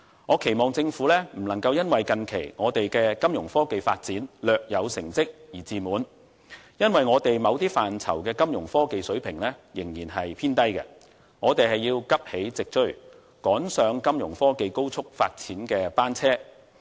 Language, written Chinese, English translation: Cantonese, 我希望政府不要因為近期我們的金融科技發展略有成績便感到自滿，因為我們某些範疇的金融科技水平仍然偏低，我們要急起直追，趕上金融科技高速發展的列車。, I hope the Government will not feel complacent with the recent small achievement in Fintech so far as the levels of our Fintech in certain areas are still quite low . We must rise and catch up in order to join the bandwagon of rapid Fintech development